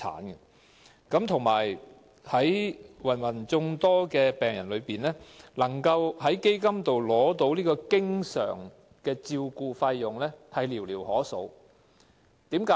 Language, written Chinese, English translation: Cantonese, 再者，在芸芸病人之中，能夠透過基金取得經常照顧費用的人寥寥可數。, Moreover among the huge number of patients only a handful of them are granted allowance for constant attention under the Fund